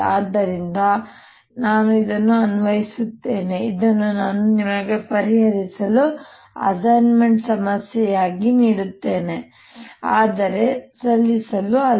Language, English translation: Kannada, i apply this to this i'll give as an assignment problem for you to solve but not to submit